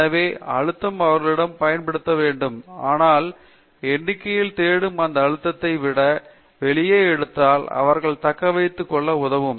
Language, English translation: Tamil, So, the pressure has to be applied on them, but this pressure of looking for numbers, if we could take it out, would help them to settle down